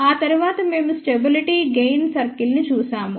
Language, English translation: Telugu, After that we looked at derivation of the stability circles